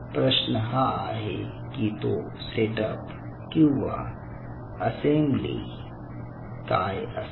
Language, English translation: Marathi, now, what is that set up and what is that assembly